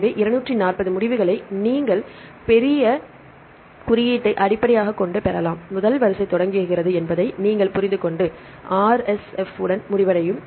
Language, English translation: Tamil, So, you can get the all the 240 results based on the greater than symbol, you can understand the first sequence starts from’ and end with the ‘RSF’